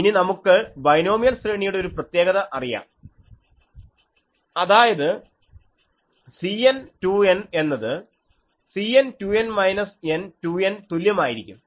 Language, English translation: Malayalam, Now, we know the property that a binomial array C n 2 N, this is same as C 2 N minus n C n 2 N